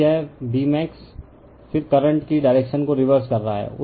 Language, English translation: Hindi, Then this your B max, then you are reversing the direction of the current